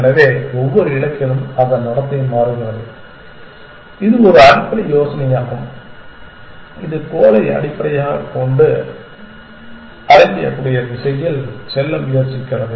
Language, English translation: Tamil, So, its behavior changes with every goal that is a basic idea that it is trying to go in the direction where the goal will be achieved essentially